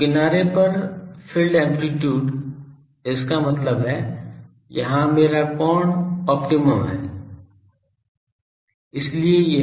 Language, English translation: Hindi, So, field amplitude at the edge; that means, there my angle is this optimum